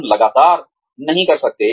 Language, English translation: Hindi, We cannot, constantly